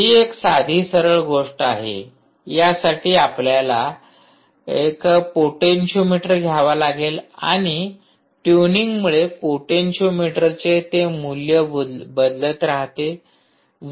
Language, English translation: Marathi, you will have to take a potentiometer and basically tune, keep changing the value of the potentiometer